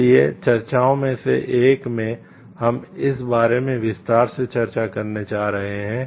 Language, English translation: Hindi, So, in one of the discussions, we are going to discuss in details about this